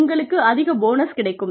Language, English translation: Tamil, And, you end up, getting a higher bonus